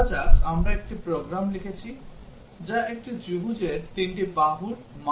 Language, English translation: Bengali, Let us say we have written a program, which reads three sides of a triangle